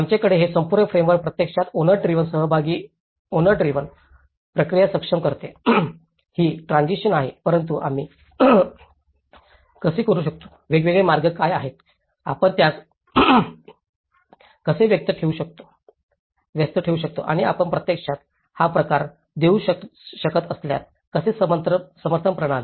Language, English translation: Marathi, We have this whole framework actually enables the owner driven, participatory owner driven process, even though it is a transitional but how we can, what are the different ways, how we can engage them and how if you can actually give this kind of support systems